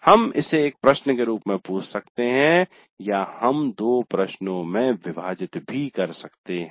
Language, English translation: Hindi, We can ask this as a single question or we can put into two questions